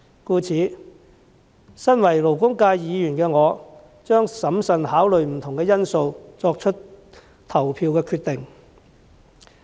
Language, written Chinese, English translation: Cantonese, 故此，身為勞工界議員，我將審慎考慮不同因素，作出投票決定。, Therefore as a Member of the labour sector I will consider various factors prudently before making my voting decision